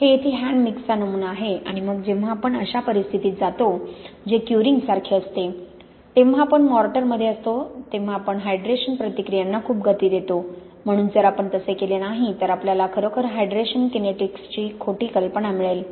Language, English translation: Marathi, That this is the hand mix sample here and then when we go to a situation which is more like the curing we have in mortar then we very much accelerate the hydration reactions, so if you are not doing that then you really will get a false idea of the hydration kinetics